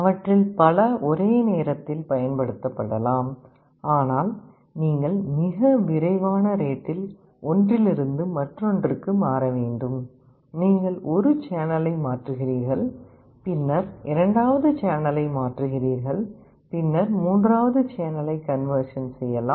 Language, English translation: Tamil, Multiple of them can be used simultaneously, but you will have to switch from one to other at a very fast rate; you convert one channel then converts second channel, then convert third channel